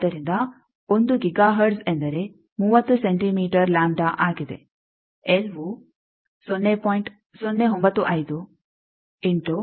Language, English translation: Kannada, So, 1 Giga hertz mean 30 centimeter lambda, you can find out L is 0